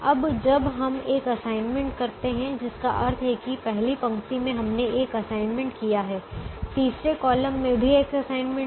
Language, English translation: Hindi, so when we make this assignment here, automatically this will go because by making an assignment in the third row, first column, the first column has an assignment